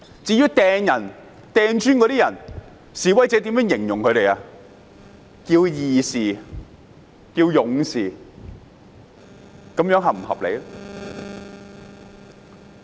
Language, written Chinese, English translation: Cantonese, 至於投擲磚頭的人，示威者稱他們為義士、勇士，這樣是否合理？, Those who hurled bricks were called martyrs or warriors by protesters . Is this reasonable?